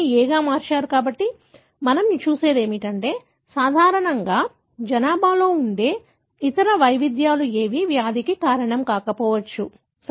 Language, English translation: Telugu, So, what we look at is that what are the other variants that are normally present in the population that may not be causing the disease, ok